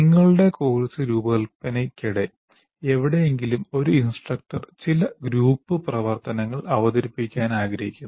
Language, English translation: Malayalam, For example, somewhere during your course design, you would want to introduce some group activity